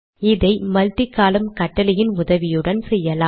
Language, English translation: Tamil, So this is done with the help of, what is known as multi column command